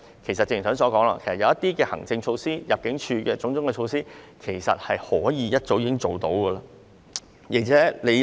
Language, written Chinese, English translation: Cantonese, 正如剛才所說，透過一些行政措施和入境措施，已經可以減輕司法機構的工作。, As I just said the workload of the Judiciary can be alleviated by way of administrative and immigration measures